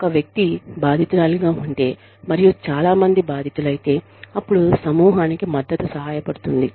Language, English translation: Telugu, If one person has been victimized, and if a number of people have been victimized, when group treatment and support, can help